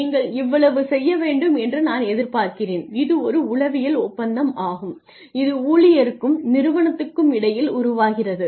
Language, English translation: Tamil, I am expecting you to do this much and that is a psychological contract that is formed between the employee and organization